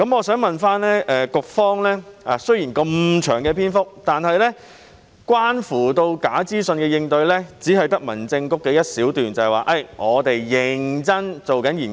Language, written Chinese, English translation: Cantonese, 雖然主體答覆的篇幅很長，但關乎假資訊的應對只有提及民政事務局的一小段，即該局正在認真研究。, Despite the length of the main reply there is just a short paragraph covering false information which only tells us that HAB is conducting a serious examination